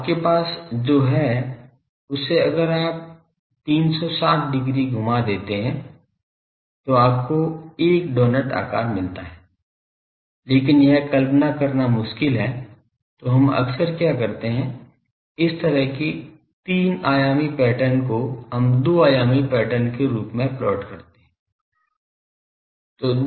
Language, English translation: Hindi, So, you have that there is a this thing if you revolve 360 degree you get a doughnut shape, but it is difficult to visualize so, what we do generally this type of pattern three dimensional pattern we plot it as two dimensional patterns